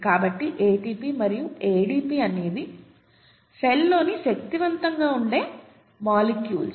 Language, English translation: Telugu, So ATP and ADP the energetically important molecules in the cell, are also nucleotides